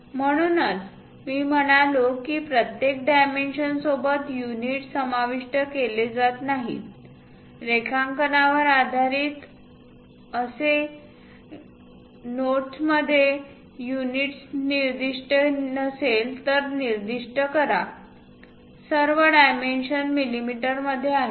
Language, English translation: Marathi, So, as I said units are not included with each dimension, specify the units used with a note on the drawing as unless otherwise specified, all dimensions are in mm